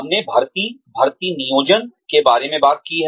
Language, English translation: Hindi, We have talked about hiring, recruiting, planning